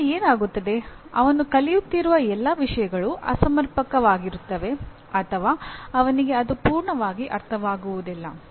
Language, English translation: Kannada, So what happens is all the things that he is learning will either be inadequate or will be half baked